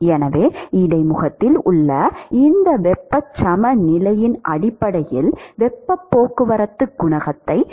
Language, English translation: Tamil, So, therefore, based on this heat balance at the interface, we can write the heat transport coefficient as